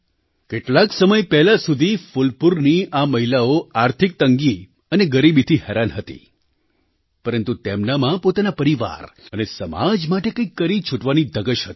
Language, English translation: Gujarati, Till some time ago, these women of Phulpur were hampered by financial constraints and poverty, but, they had the resolve to do something for their families and society